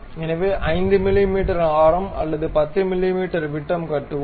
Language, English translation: Tamil, So, let us construct a 5 mm radius or 10 mm diameter